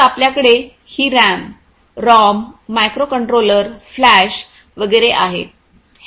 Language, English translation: Marathi, So, you have this RAM, ROM microcontroller flash and so on